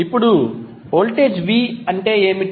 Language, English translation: Telugu, Now, what is voltage V